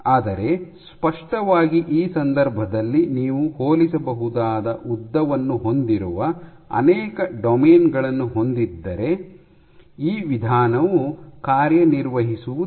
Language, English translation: Kannada, But clearly for this case this approach would not work if you have multiple domains which have comparable lengths